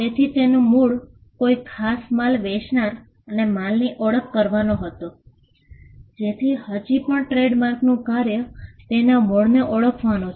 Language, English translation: Gujarati, So, the origin was to identify the goods with a particular seller, so that still remains the function of a trademark is to identify the origin